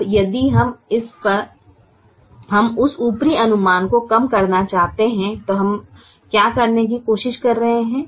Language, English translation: Hindi, now, if we want to minimize that upper estimate, then what are we trying to do